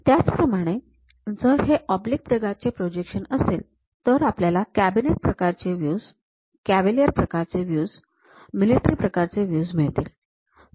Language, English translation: Marathi, Similarly if it is oblique kind of projections, we have cabinet kind of views, cavalier kind of views, military kind of views we have